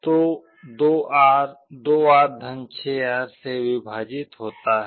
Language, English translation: Hindi, So, 2R divided by (2R + 6R)